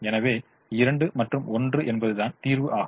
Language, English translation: Tamil, so two and one is the solution